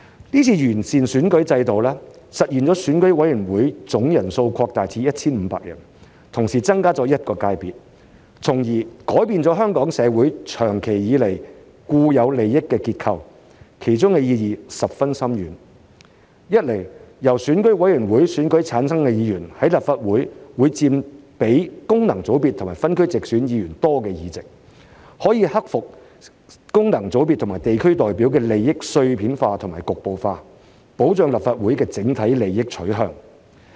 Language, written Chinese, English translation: Cantonese, 這次完善選舉制度，實現選委會總人數擴大至 1,500 人，同時增加一個界別，從而改變香港社會長期以來的固有利益結構，其中的意義十分深遠：一，由選委會界別經選舉產生的議員，在立法會所佔的議席會多於功能界別議員和分區直選議員的議席，可以克服功能界別和地區代表的利益碎片化和局部化，保障立法會的整體利益取向。, The improvement of the electoral system this time around realizes the expansion of EC to 1 500 members and the addition of one more sector thus changing the long - standing inherent structure of interest in Hong Kong society which carries far - reaching implications . First with the number of Members in the Legislative Council returned by the EC constituency through election exceeding the number of Members returned by the functional constituencies FCs and the geographical constituencies GCs through direct elections the fragmentation and localization of the interests of representatives of FCs and GCs is addressed to ensure that the Legislative Council is directed towards the overall interests of society